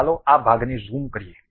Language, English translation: Gujarati, Let us zoom this portion